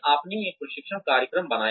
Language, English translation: Hindi, You made a training program